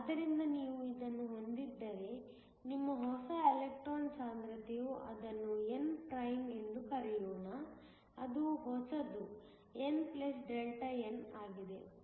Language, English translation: Kannada, So, if you have this, your new electron concentration is let me call it n prime, which is the new is n + Δn